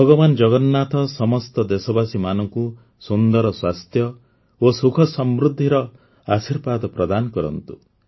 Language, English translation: Odia, I pray that Lord Jagannath blesses all countrymen with good health, happiness and prosperity